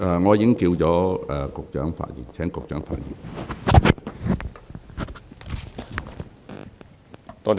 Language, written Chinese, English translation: Cantonese, 我已叫喚了局長發言。, I have already called upon the Secretary to speak